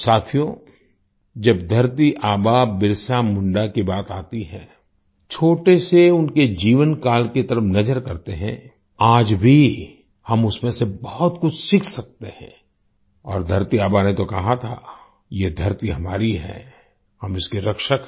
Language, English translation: Hindi, Friends, when it comes to Dharti Aba Birsa Munda, let's look at his short life span; even today we can learn a lot from him and Dharti Aba had said 'This earth is ours, we are its protectors